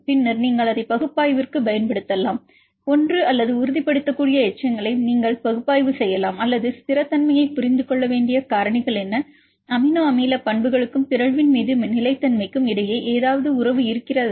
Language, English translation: Tamil, Once the database is ready the data are available then you can use it for the analysis, either you can analyze the residues which are stabilizing or which are destabilizing and what are the factors which are important to understand the stability, are there any relationship between amino acid properties and the stability upon mutation, any specific properties which can influence the stability of the mutations